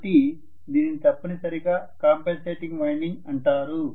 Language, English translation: Telugu, So, this is essentially known as compensating winding